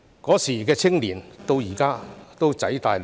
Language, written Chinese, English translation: Cantonese, 當年的青年到了今天，已經"仔大女大"。, The youths back then have become grown - ups already